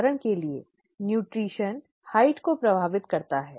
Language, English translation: Hindi, For example nutrition affects height